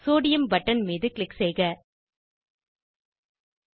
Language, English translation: Tamil, Let us click on Sodium button